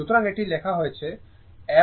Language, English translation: Bengali, So, it is written I m sin 2 pi f t